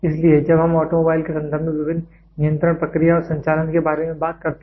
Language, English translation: Hindi, So, when we talk about different control process and operations in terms of automobile